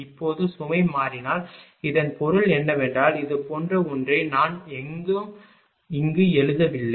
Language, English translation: Tamil, Now, if the load changes then this I mean I mean it is something like this all this things I have not written here